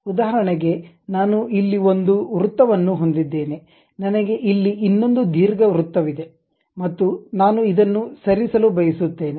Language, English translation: Kannada, For example, I have one circle here, I have another ellipse here and I would like to move this one